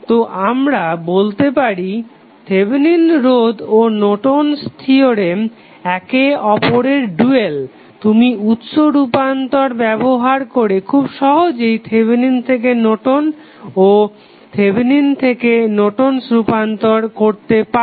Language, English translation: Bengali, So, we can say that the Thevenin theorem and Norton's theorem are dual to each other you can simply use the source transformation and convert them into the from Norton's to Thevenin and Thevenin's to Norton equivalent circuits